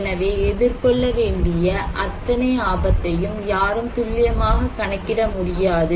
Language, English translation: Tamil, So, no one can calculate precisely the total risk to be faced